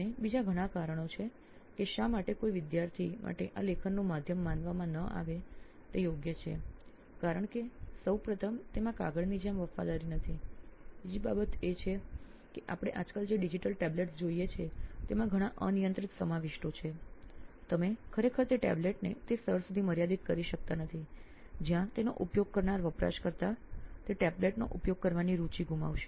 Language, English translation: Gujarati, And there are lot of other reasons why this cannot be considered to be are preferable writing medium for any student because first of all it does not have a fidelity like a paper, second thing is that the digital tablets that we see around nowadays so they have many unrestricted contents, you really cannot restrict a tablet to that level where the user the who is using that will lose the interest of using that tablet